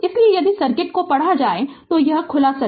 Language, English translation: Hindi, So, if you read out the circuit, this is open